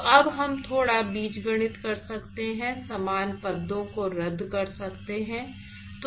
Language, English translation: Hindi, So now, we can do little bit of algebra, cancel a like terms